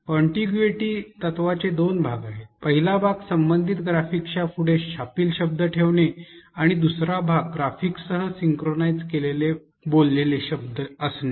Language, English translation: Marathi, Contiguity principle has two parts to it; one place printed words next to the corresponding graphics and two synchronized spoken words with graphics